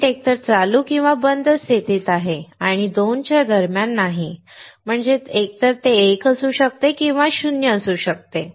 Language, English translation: Marathi, The circuit is either in ON state or OFF state and not in between the 2; that means, that either it can be 1 or it can be 0